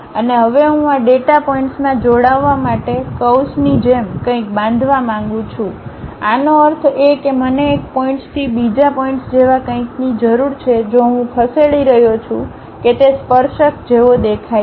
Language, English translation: Gujarati, And, now, I would like to construct something like a curve I had to join these data points; that means, I need something like from one point to other point if I am moving how that tangent really looks like